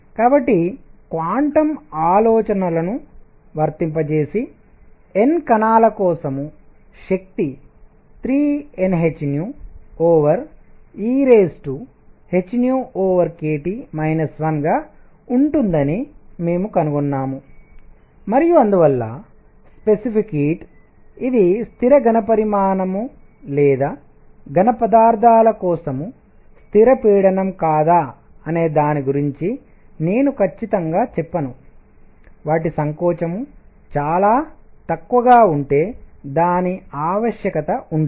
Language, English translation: Telugu, So, we found applying quantum ideas energy for N particles is going to be 3 N h nu over e raise to h nu over k T minus 1 and therefore, specific heat; I am not going to the certainties of whether it is constant volume or constant pressure for solids, it does not really matter if their compressibility is very small